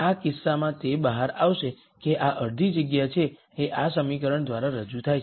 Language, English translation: Gujarati, In this case it will turn out that this is the half space that is represented by this equation